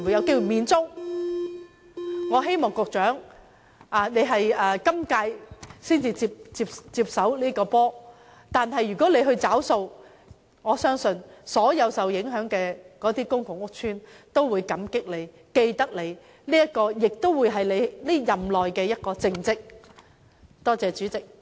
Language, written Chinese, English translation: Cantonese, 局長在今屆政府才接手處理這問題，如果他願意負責，我相信所有受影響的公共屋邨居民均會心存感激，銘記心中，而這亦會是他任內的一大政績。, The Secretary has taken over as the principal official responsible for matters in this regard in the current - term Government and if he is willing to assume responsibility for this I am sure all PRH residents affected will be deeply grateful for his kindness . This will also become a major achievement in his term of office